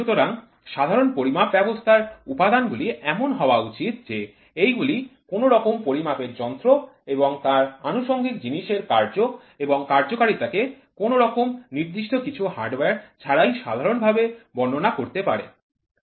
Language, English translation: Bengali, So the elements of generalized measured system it is desirable to do describe both the operation and performance of measuring instrument and associated equipment in a generalized way without recourse of specific hardware